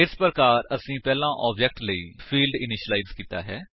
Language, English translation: Punjabi, Thus we have initialized the fields for the first object